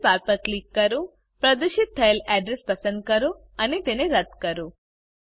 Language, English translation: Gujarati, Click on the Address bar, select the address displayed and delete it